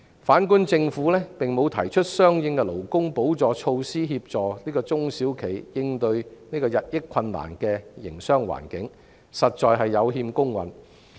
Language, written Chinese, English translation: Cantonese, 反觀政府並無提出相應的補助措施，以協助中小企應對日益困難的營商環境，實在有欠公允。, In contrast it is indeed unfair that the Government has not proposed corresponding supportive measures to assist small and medium enterprises in coping with the increasingly difficult business environment